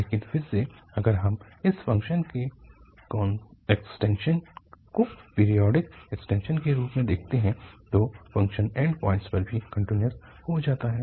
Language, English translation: Hindi, But again if we look at the extension of this function as periodic extension, so the function becomes continuous also at the end point